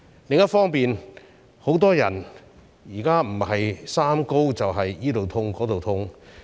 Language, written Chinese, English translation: Cantonese, 另一方面，很多人現在不是"三高"，便是周身痛。, On the other hand many people are either suffering from the three - highs or body aches